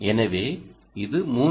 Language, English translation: Tamil, this is a